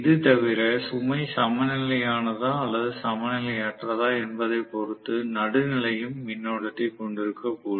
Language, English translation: Tamil, And apart from that neutral might also have current depending upon whether the load is balanced or unbalanced slightly